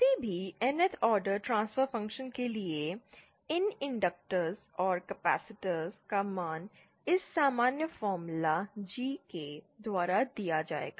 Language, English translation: Hindi, For any Nth order transfer function, the values of these inductors and capacitors will be given by this general formula GK